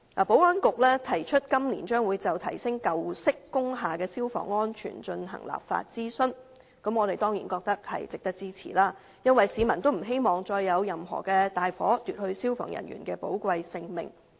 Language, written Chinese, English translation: Cantonese, 保安局表示，今年將就提升舊式工廈的消防安全進行立法諮詢，我們當然覺得是值得支持的，因為市民不希望再發生任何大火，奪去消防人員的寶貴性命。, According to the Security Bureau it will conduct a consultation exercise on legislating for enhancing the fire safety of old industrial buildings . We certainly consider it worthy of support because members of the public do not wish to see any more fire take away the precious life of any fireman